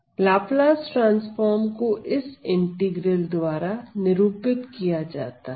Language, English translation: Hindi, So, the Laplace transform is denoted by this integral ok